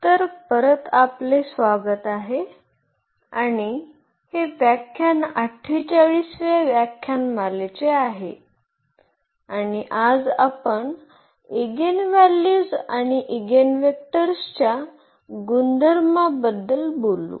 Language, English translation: Marathi, ) So, welcome back and this is lecture number 48 and today we will talk about the properties of Eigenvalues and Eigenvectors